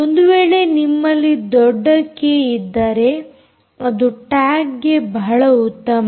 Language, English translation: Kannada, the trouble is, if you have a large k, its good for tags to they